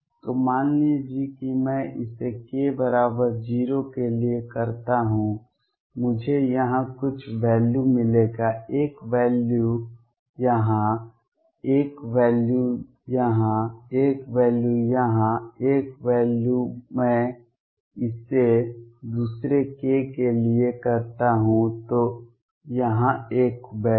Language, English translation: Hindi, So, suppose I do it for k equals 0 I will get some value here, one value here, one value here, one value here one value here, I do it for another k nearby either a value here